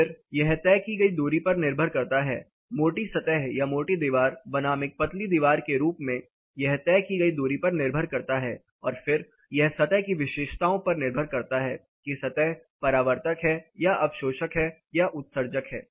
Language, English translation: Hindi, Then it depends on the distance traveled, say a thick surface or a thick wall versus a thin wall it depends on the distance traveled and then it depends on the surface characteristics, whether the surface is reflective whether it is absorptive (Refer Time: 05:40)